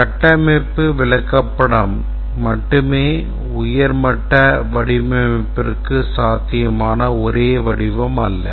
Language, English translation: Tamil, But then the structure chart is not the only representation that is possible for the high level design